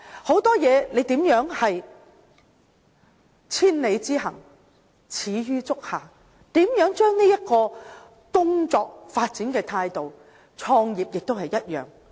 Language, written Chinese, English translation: Cantonese, 很多事情都是千里之行，始於足下，要思考如何利用這種工作發展的態度，創業也一樣。, Many achievements in the world are results of great patience and long - term effort . We must contemplate how to apply this spirit in our careers while the same is true for those who wish to start their own business